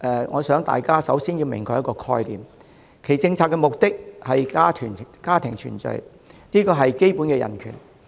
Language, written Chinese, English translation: Cantonese, 我想大家首先要釐清一個概念，單程證制度的政策目的，是為了家庭團聚，這是基本的人權。, We should clarify a notion first . The policy objective of OWP is for family reunion which is a basic human right